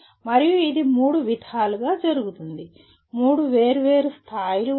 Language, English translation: Telugu, And this is done at three, there are three different levels